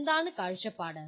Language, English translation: Malayalam, What is the point of view